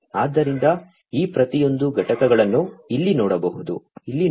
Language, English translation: Kannada, So, let us look at each of these components over here